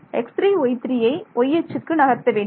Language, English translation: Tamil, Move x 1, y 1 to the origin then